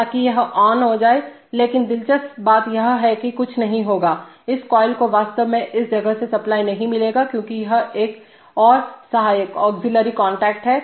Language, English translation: Hindi, nothing will happen that this coil will actually not get supply because of this one which is another auxiliary contact